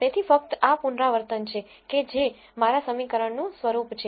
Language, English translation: Gujarati, So, just to reiterate this is the form of my equation